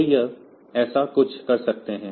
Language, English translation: Hindi, So, we can have something like that